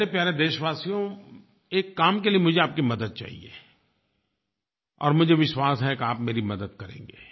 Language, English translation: Hindi, My dear countrymen, I need a help from you and I believe that you will come along with me